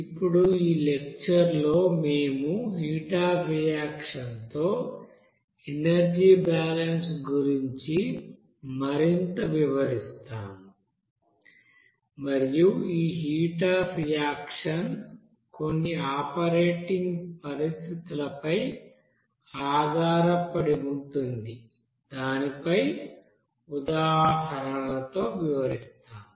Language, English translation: Telugu, Now in this lecture we will describe more about that energy balances with heat of reaction and this heat of reaction will be based on that at operating conditions with some examples there